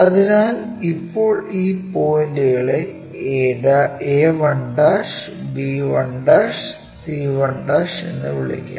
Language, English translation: Malayalam, Transfer this length a 1 b 1, a 1 b 1 there